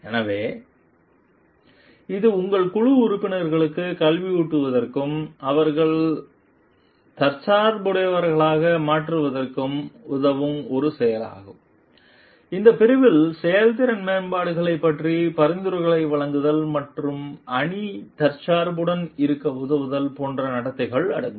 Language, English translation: Tamil, So, it is an act of educating your team members and help them to become self reliant, this category include behaviors such as making suggestions about performance improvements and helping the team to be self reliant